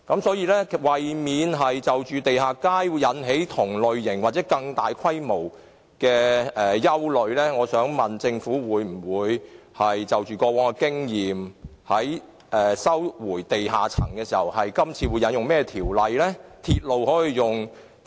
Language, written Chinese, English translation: Cantonese, 所以，為免在發展地下街時引起同類或更大的憂慮，我想問政府會否因應過往經驗，探討在收回地下空間時應引用甚麼條例行事？, Therefore in order to avoid similar or even greater worries when underground space development projects are implemented I would like to ask the Government whether it will learn from past experiences and explore what ordinances should be invoked for the recovery of underground space?